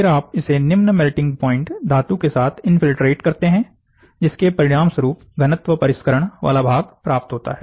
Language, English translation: Hindi, Then you infiltrate with lower melting point metal resulting in the density finishing component